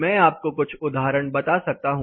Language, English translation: Hindi, For these testing I can tell you few examples